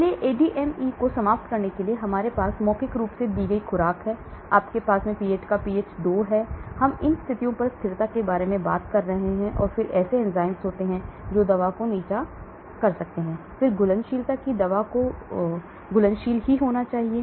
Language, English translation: Hindi, So to sum up ADME, we have the dose given orally, you have the stomach pH is 2, we are talking about stability at these conditions and then there are enzymes which may degrade the drug, then solubility that the drug has to be soluble, pH over a wide range